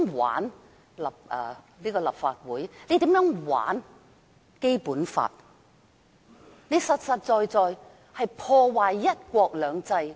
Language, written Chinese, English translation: Cantonese, 玩弄立法會，玩弄《基本法》，其實等於破壞"一國兩制"。, To manipulate the Legislative Council and the Basic Law is actually tantamount to damaging one country two systems